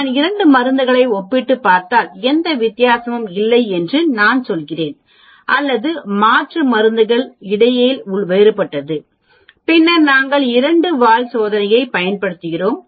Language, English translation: Tamil, If I am comparing 2 drugs and I am saying there is no difference between drugs or alternative there is the different between drug then we use a two tail test